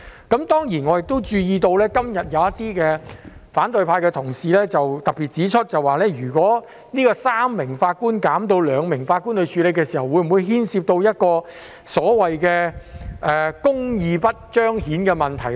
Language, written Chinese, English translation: Cantonese, 當然，我亦注意到，今天有反對派同事特別指出，如果由3名法官減至兩名法官處理案件，會否帶來所謂公義得不到彰顯的問題呢？, Of course as I have also noticed some colleagues from the opposition camp particularly query today whether justice can be manifested if the number of judges on the bench is reduced from three to two to deal with the cases